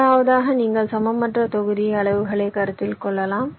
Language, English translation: Tamil, firstly, you can consider unequal block sizes